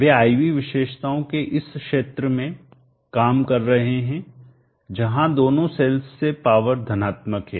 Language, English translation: Hindi, They are operating in this region of the IV characteristics where power from both the cells are positive